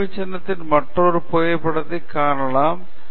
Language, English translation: Tamil, Let’s look at another photograph of the same monument